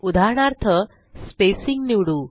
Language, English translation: Marathi, For example, let us choose spacing